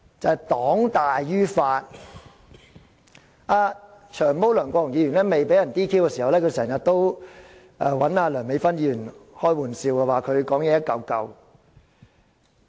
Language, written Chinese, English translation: Cantonese, 前議員"長毛"梁國雄未被 "DQ" 前，經常與梁美芬議員開玩笑，說她發言"一嚿嚿"。, Former Member Long Hair LEUNG Kwok - hung had before his disqualification often ridiculed Dr Priscilla LEUNGs muddled speech